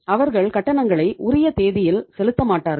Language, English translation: Tamil, They are not making our payment on the due date